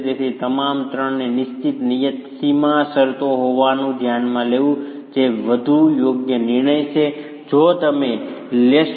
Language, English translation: Gujarati, Therefore, considering all the three to be having fixed, fixed boundary conditions is the more appropriate decision that you would take